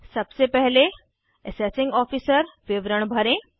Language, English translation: Hindi, First of all, fill the Assessing officer details